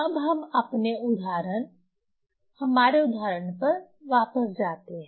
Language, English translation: Hindi, Now, let us go back to the our example